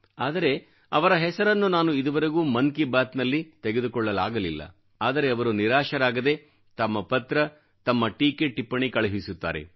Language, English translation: Kannada, There are lakhs of persons whose names I have not been able to include in Mann Ki Baat but without any disappointment,they continue to sendin their letters and comments